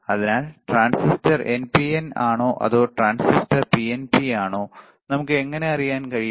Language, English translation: Malayalam, So, whether the transistor is NPN or whether the transistor is PNP, how we can know